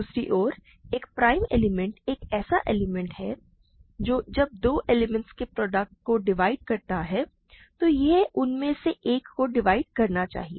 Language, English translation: Hindi, On the other hand, a prime element is an element which when it divides a product of two elements, it must divide one of them